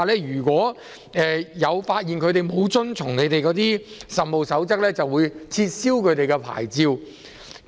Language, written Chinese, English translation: Cantonese, 如果職業介紹所被發現沒有遵從局方的《實務守則》，會被撤銷牌照。, If EAs are found to have failed to comply with CoP their licences will be revoked